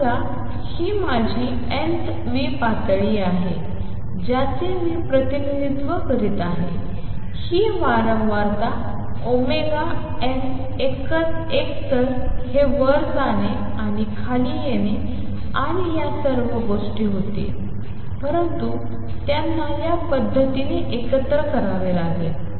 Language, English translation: Marathi, Suppose this is my nth level what I am representing this, this frequency omega n n minus either would like this going up and coming down and all these things, but they have to be combined in this manner